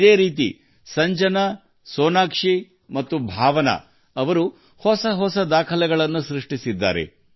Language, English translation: Kannada, Similarly, Sanjana, Sonakshi and Bhavna have also made different records